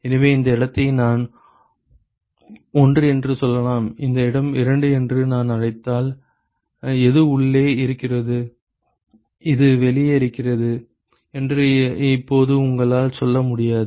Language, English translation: Tamil, So, if I call this location as let us say 1 and this location is 2 because, now you cannot say which is in and which is out ok